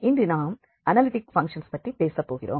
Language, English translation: Tamil, And today we will be talking about analytic functions